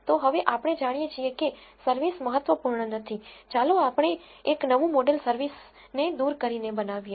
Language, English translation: Gujarati, So, now, that we know service is not significant, let us build a new model dropping service